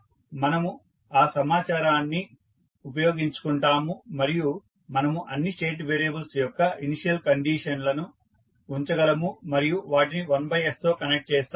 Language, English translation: Telugu, So, we will utilized that information and we will put the initial conditions of all the state variable and connect them with 1 by s